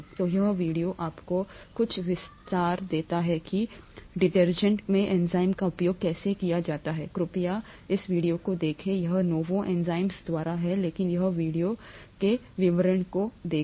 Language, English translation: Hindi, So this video gives you some idea as to how enzymes are used in detergents, please take a look at this video, it’s by novozymes but look at the the details in that video